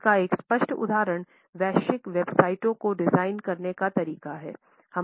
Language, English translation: Hindi, A clear example of it is the way the global websites are designed